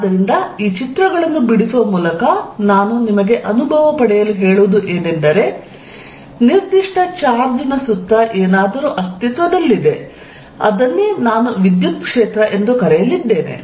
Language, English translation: Kannada, So, by making these pictures, what I am making you feel is that, something exists around a given charge and that is what I am going to call electric field